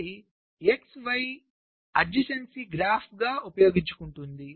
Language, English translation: Telugu, so it uses something called a x y adjacency graph